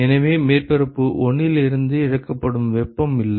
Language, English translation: Tamil, So, there is no heat that is lost from surface 1 and nothing is added to surface 1